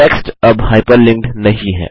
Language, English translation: Hindi, The the text is no longer hyperlinked